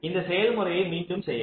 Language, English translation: Tamil, repeat this process